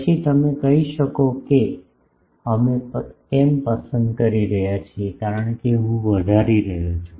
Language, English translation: Gujarati, Then, you can say why we are choosing, because I am increasing the a dash